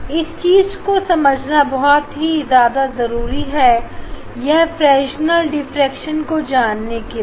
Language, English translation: Hindi, that concept is very important to realize the effect to realize the Fresnel diffraction